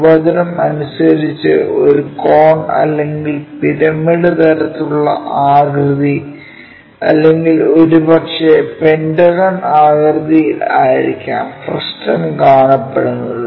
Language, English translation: Malayalam, Frustum by definition it might be having a cone or pyramid kind of shape or perhaps pentagonal thing